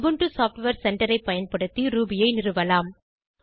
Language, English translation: Tamil, You can install Ruby using the Ubuntu Software Centre